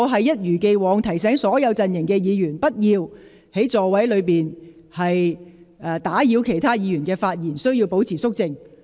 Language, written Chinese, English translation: Cantonese, 一如既往，我提醒所有陣營的議員不要在座位上打斷其他議員的發言，並須保持肅靜。, As always I remind Members from all political camps not to speak in their seats to the effect of interrupting other Members speeches and that they must keep quiet